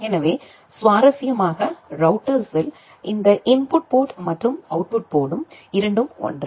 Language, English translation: Tamil, So, interestingly in router this input ports and output ports are same